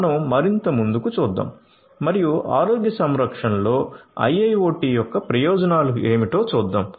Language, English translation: Telugu, So, let us look further ahead and see what are the benefits of IIoT in healthcare